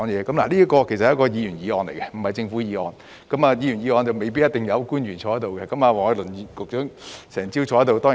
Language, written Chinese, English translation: Cantonese, 這項是議員議案，並非政府議案，而議員議案未必一定有官員坐在這裏，但黃偉綸局長卻整個早上都在席。, This is a Members motion rather than a Governments motion and government officials may not necessarily present for a Members motion . However Secretary Michael WONG has been present for the whole morning